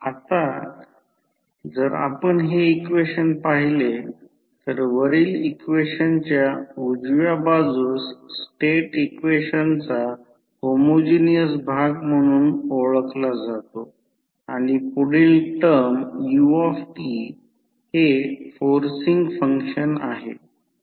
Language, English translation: Marathi, Now, if you see this particular equation the right hand side of the above equation is known as homogeneous part of the state equation and next term is forcing function that is ut